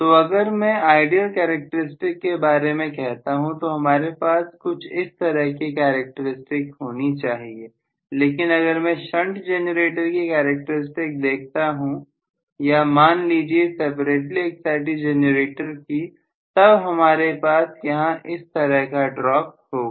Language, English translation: Hindi, So, if I am talking about ideal characteristics I should have had the characteristics somewhat like this, but if I am looking at the shunt generator characteristics or separately excited generator for that matter I will have a drop like this